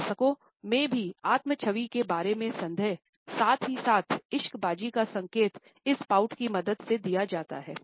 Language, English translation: Hindi, Even in adults you would find that doubts about self image, as well as a flirtation is indicated with the help of this pout